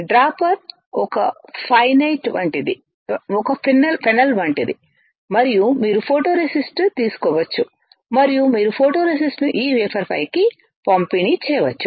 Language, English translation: Telugu, Dropper is like a fennel and you can take the photoresist and you can dispense the photoresist onto this wafer